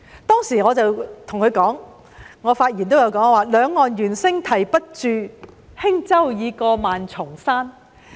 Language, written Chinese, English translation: Cantonese, 當時我在發言中向時任財政司司長曾俊華表示，"兩岸猿聲啼不住，輕舟已過萬重山"。, In my speech delivered at that time I told the then FS John TSANG that Yet monkeys are still calling on both banks behind me to my boat these ten thousand mountains away